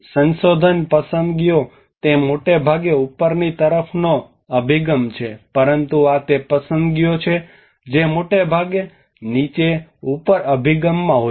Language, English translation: Gujarati, The research preferences it is mostly on the top down approach, but these are the preferences which mostly on the bottom up approach